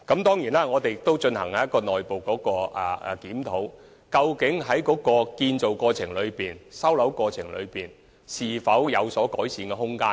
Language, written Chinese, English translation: Cantonese, 當然，我們亦進行了內部檢討，以了解建造程序和收樓過程是否有改善空間。, Of course we have also conducted an internal review to see if there is room for improvement in respect of the building process and the handover procedures